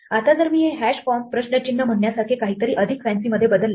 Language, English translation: Marathi, Now, if I change this to something more fancy like say hash comp question mark